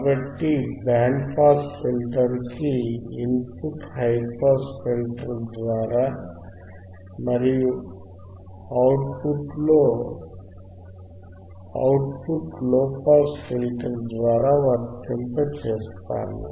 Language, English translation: Telugu, So, input of band pass filter is athe input to high pass filter and output of band pass filter is output tofrom the low pass filter